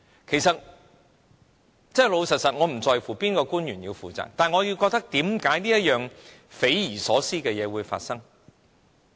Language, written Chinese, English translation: Cantonese, 其實，坦白說，我不在乎哪位官員要負責，但我疑惑為何這件匪夷所思的事會發生？, Frankly speaking I do not care about which government official should be held accountable but I do question why such an inexplicable incident should have occurred